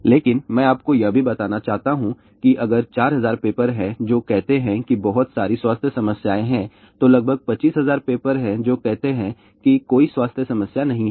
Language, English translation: Hindi, But I also want to tell you if there are 4000 papers which say there are a lot of health problem , then there are about 25000 papers which say there are no health problem